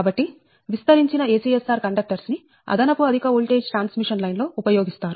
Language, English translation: Telugu, expanded acsr conductors are used in extra high voltage transmission line, right